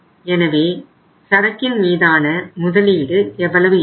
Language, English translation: Tamil, So investment in the inventory is going to be how much